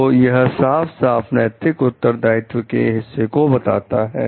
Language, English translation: Hindi, So, that is the clear part that they are morally responsible to